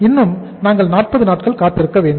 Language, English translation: Tamil, Still we have to wait for the 40 days